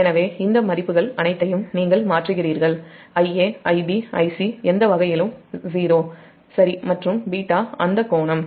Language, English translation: Tamil, so you substitute all this values i a, i b, i c is any way zero, right, and beta that angle